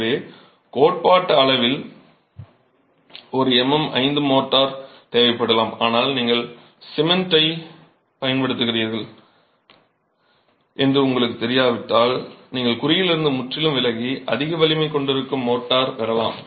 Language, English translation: Tamil, So, theoretically you might want a MM5 motor, but if you don't know what cement you are using, you can go completely off the mark and get a higher strength motor